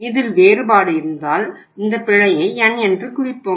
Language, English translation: Tamil, It means if there is a difference let us denote this error by N